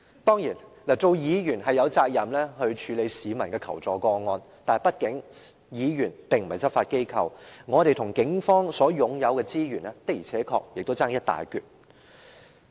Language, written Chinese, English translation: Cantonese, 當然，身為議員，我們有責任處理市民的求助個案，但議員畢竟並非執法機構，我們與警方擁有的資源的確相差一大截。, Of coures we as Members are duty - bound to handle assistance requests from the public yet Members are not law enforcement agencies after all and the resources we have are far limited than the Police